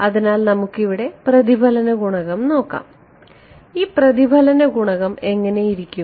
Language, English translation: Malayalam, So, let us look at the reflection coefficient over here what is this reflection coefficient look like